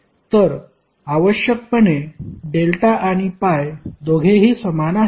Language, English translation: Marathi, So essentially, delta and pi both are the same